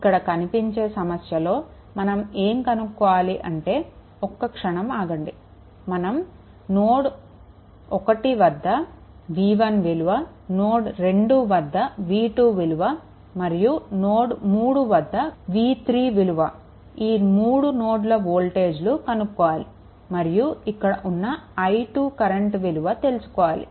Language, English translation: Telugu, In this in this problem it has been asked, that ah just hold on it has been asked that you have to find out v 1 this is node 1 v 2 that is node 2 and then node 3 v 3 this 3 nodal voltages and then you have to find out this current i 2 right